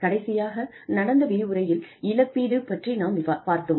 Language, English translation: Tamil, We talked about, compensation, in the last lecture